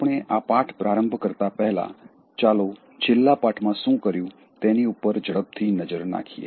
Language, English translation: Gujarati, But, before we start, let us take a quick highlight of what we did in the last lesson